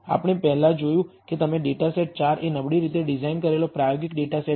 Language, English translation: Gujarati, Data set 4 as we saw before is a poorly designed experimental data set